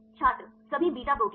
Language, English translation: Hindi, All beta proteins